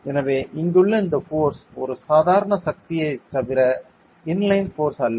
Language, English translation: Tamil, So, this force over here is a normal force and not inline force